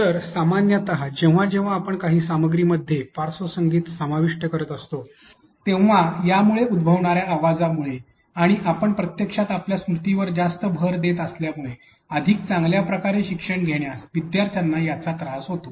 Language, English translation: Marathi, So, generally whenever we are including background music in some content it may affect the learners to be able to learn better because of the noise that comes up and because you are actually overloading your working memory